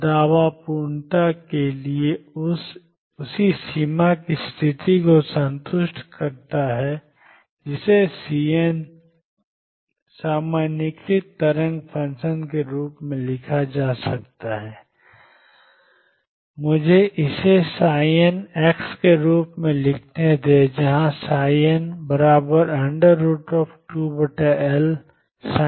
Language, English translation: Hindi, And the claim is for completeness that affects that satisfies the same boundary condition can be written as C n time is normalized wave function, let me write this as phi n x where phi n equal to square root of 2 by L sin n pi over L x